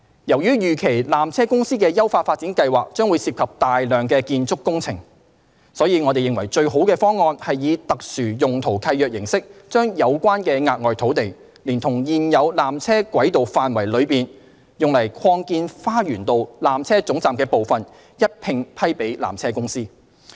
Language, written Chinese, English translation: Cantonese, 由於預期纜車公司的優化發展計劃將涉及大量建築工程，因此，我們認為最佳方案是以特殊用途契約形式，將有關的額外土地，連同現有纜車軌道範圍內用以擴建花園道纜車總站的部分，一併批予纜車公司。, Given that substantial building works of the upgrading plan is envisaged to be done we believe the best option is to grant the additional land together with the part of the existing tramway area to be used for the expansion of the Lower Terminus to PTC by way of SPL